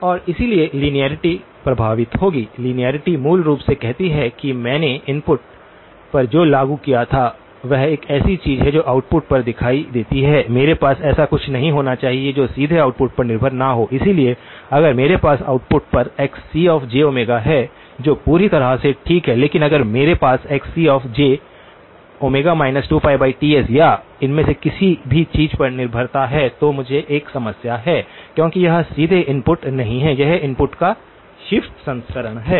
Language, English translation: Hindi, And therefore, linearity will be affected, linearity basically says what I applied at the input there is a corresponding something that appears at the output, I should not have anything which does not directly depend on the input itself, so if I have xc of omega j at the output that is perfectly okay but if I have xc of j omega minus 2 pi by Ts or some dependence on any of these things, then I have a problem because that is not directly the input, it is the shifted version of the input